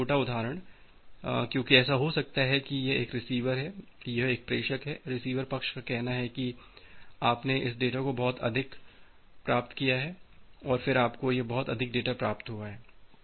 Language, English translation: Hindi, Because small example, because it may happen that at the this is a receiver this is a sender, the receiver side say you have received this much of data and then you have received this much of data